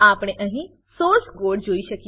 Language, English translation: Gujarati, We can see the source code here